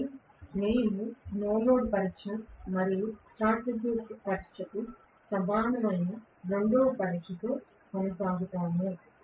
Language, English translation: Telugu, So, we will continue with the no load test and the second test which is equivalent to short circuit test